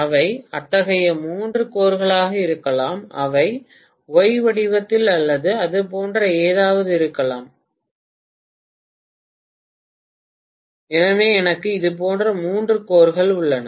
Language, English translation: Tamil, They may be three such cores which are something in the shape of a Y or something like that, so I have three such cores